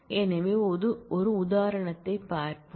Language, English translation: Tamil, So, let us look at example